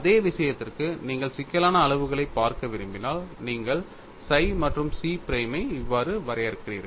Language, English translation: Tamil, For the same thing, if you want to look at in complex quantities, you define psi and chi prime like this